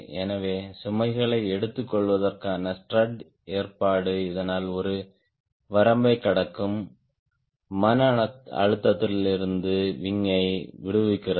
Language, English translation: Tamil, so the strut arrangement arrangement to take load and thus relieving the wing and relives the wing from stress crossing a limit, one may argue